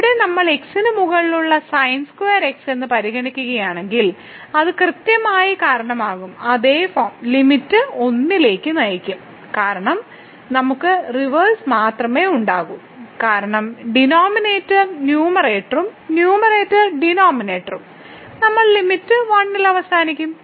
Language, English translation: Malayalam, The same thing if we consider here square over x it will result exactly in the same form and will lead to the limit 1 because, we will have just the reverse the denominator will become numerator and numerator will become denominator and we will end up with limit 1